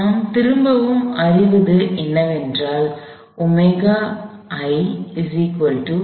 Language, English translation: Tamil, What we find is again omega i is 0